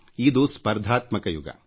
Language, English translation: Kannada, Today is the era of competition